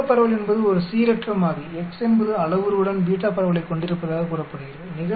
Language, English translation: Tamil, Beta distribution, is a random variable X is said to have a beta distribution with parameter